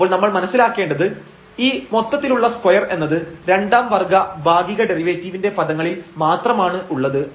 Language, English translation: Malayalam, So, that we have to understand that this whole square is not literally the a square of this two terms, but the meaning of this here is in terms of the second order partial derivatives